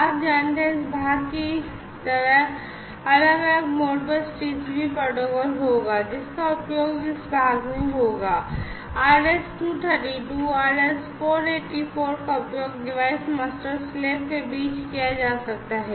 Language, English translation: Hindi, You know so, different like you know this part would be Modbus TCP protocol, which will be used this part would be the RS 232 484 could be used between the device master and the slave